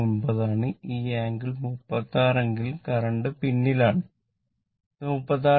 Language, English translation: Malayalam, 29 in the current and this angle is 36 or current is lagging current is lagging, this is 36